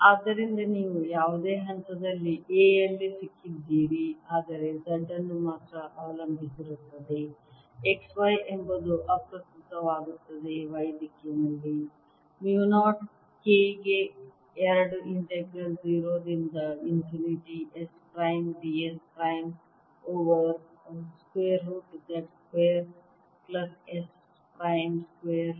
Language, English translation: Kannada, let's do that so you have got in a at any point, but depends only on z, x, y, doesn't matter is equal to mu naught k in y direction over two integral zero to infinity s prime d s prime over square root of z square plus s prime square